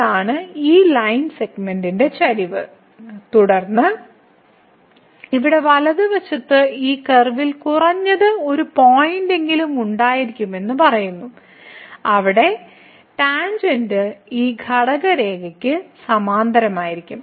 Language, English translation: Malayalam, So, this is the slope of this line segment and then the right hand side here says that there will be at least one point on this curve where the tangent will be parallel to this quotient line